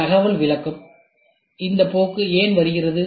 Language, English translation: Tamil, Information interpretation, Why is this trend coming